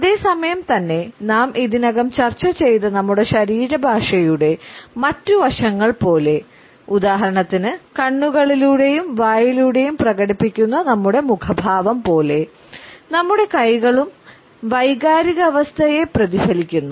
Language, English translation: Malayalam, At the same time like other aspects of our body language which we have already discussed, for example, our facial expressions through the eyes as well as through our mouth, our hands also reflect the emotional state